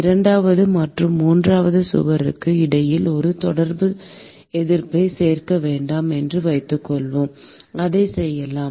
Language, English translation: Tamil, Supposing we want to include a Contact Resistance between the second and the third wall, we could do that